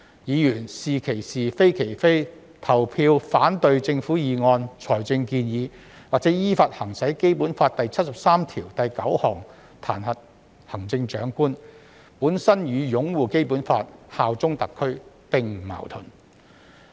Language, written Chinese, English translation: Cantonese, 議員是其是、非其非，投票反對政府議案、財政建議，或依法行使《基本法》第七十三條第九項彈劾行政長官，與擁護《基本法》、效忠特區並不矛盾。, If they vote against the Governments motions financial proposals or impeach the Chief Executive in accordance with Article 739 of the Basic Law this is not inconsistent with upholding the Basic Law and bearing allegiance to SAR